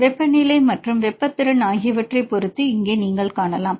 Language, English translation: Tamil, So, here you can see with respect to temperature versus heat capacity